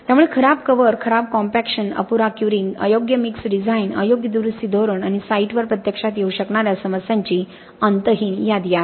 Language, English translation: Marathi, So poor cover, poor compaction, insufficient curing, improper mix design, improper repair strategies and also there is endless list of problems that can actually happen on site